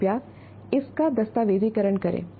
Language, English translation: Hindi, Can you document that